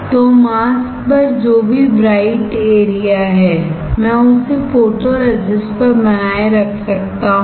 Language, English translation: Hindi, So, all the bright area on the mask I can retain on the photoresist